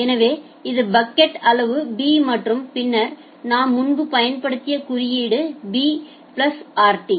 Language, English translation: Tamil, So, this is the bucket size b and then and then so, the notation that we used earlier that b plus rt